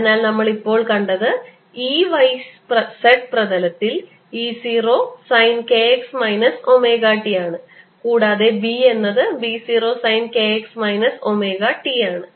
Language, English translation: Malayalam, so we have now seen that e is e in the y, z plane zero sine of k x minus omega t and b is b zero sine of k x minus omega t